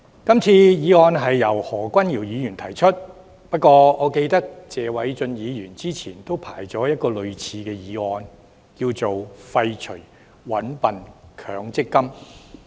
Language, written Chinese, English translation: Cantonese, 這項議案由何君堯議員提出，不過我記得，謝偉俊議員早前也申請提出類似議案，題為"廢除'搵笨'強積金"。, This motion is proposed by Dr Junius HO . However I remember Mr Paul TSE has some time ago asked for the allocation of a slot to propose a motion similar to this with the title of Abolishing the Mandatory Dupery Fund